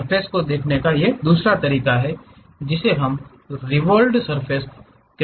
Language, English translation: Hindi, The other way of looking at surfaces is revolved surfaces